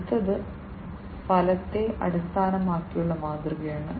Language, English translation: Malayalam, The next one is the outcome based model